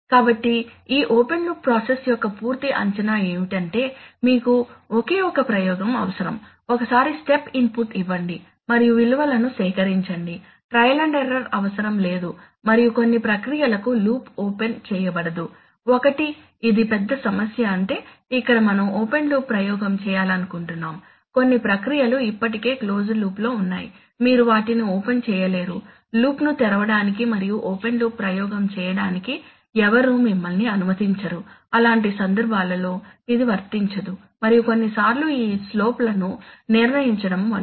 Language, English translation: Telugu, So an overall assessment of this, of this open loop process is that you need only a single experiment, just once give a step input and collect the values no trial and error is needed and for some processes loop cannot be opened, one, this is a big problem that, that mean here we are we want to do an open look experiment now some processes are there already in closed loop you cannot open them nobody will allow them allow you to open the loop and do a, do an open loop experiment so in such cases this is not applicable and sometimes determining the these slopes etc